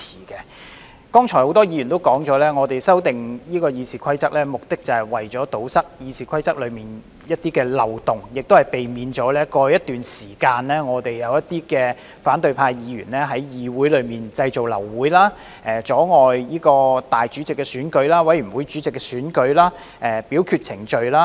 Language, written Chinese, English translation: Cantonese, 剛才多位議員也提到，我們修訂《議事規則》的目的，是為了堵塞《議事規則》的一些漏洞，以避免過去一段時間立法會內一些反對派議員在議會製造流會、阻礙立法會主席的選舉、委員會主席的選舉、表決程序等。, I would also like to express our support for this batch of amendments on behalf of Members from the Democratic Alliance for the Betterment and Progress of Hong Kong DAB As mentioned by several Members earlier the purpose of amending RoP is to plug some loopholes in RoP so as to prevent Members from causing meetings of the Legislative Council to abort obstructing the election of the President of the Legislative Council and the election of chairmen of committees and the voting procedure as some Members from the opposition had done for a period of time in the past